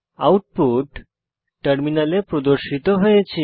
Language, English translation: Bengali, The output will be as displayed on the terminal